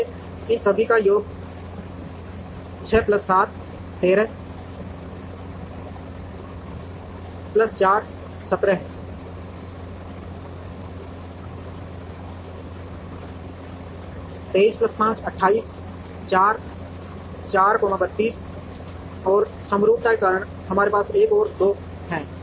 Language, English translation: Hindi, So the sum of all these is 6 plus 7, 13 plus 4, 17 23 plus 5, 28 plus 4, 32 and due to symmetry, we have another two